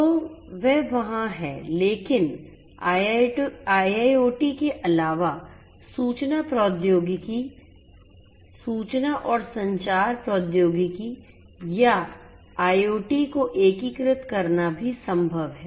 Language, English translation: Hindi, So, that is there but in addition with IIoT it is also possible to integrate information technology, information and communication technology or IoT